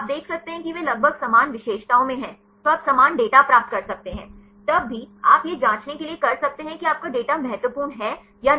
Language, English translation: Hindi, You can see almost they are in similar features; so you can get similar data, even then you can do this test to confirm that your data are significant or not